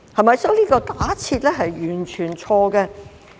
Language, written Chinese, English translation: Cantonese, 因此，這假設是完全錯誤的。, That assumption is thus completely wrong